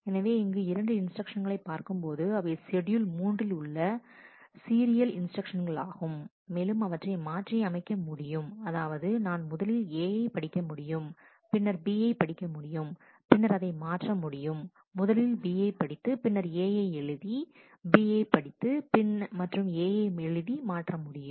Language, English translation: Tamil, So, here if I look into these 2 instructions, which are the consecutive instructions in schedule 3 I can swap them; that is, I can do read B first and then do read A, I can swap read B and write A read B, and write A can be swapped